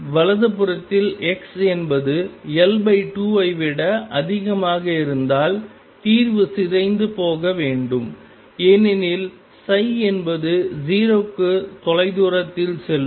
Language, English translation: Tamil, On the right hand side greater than L by 2 the solution should decay because go to 0 faraway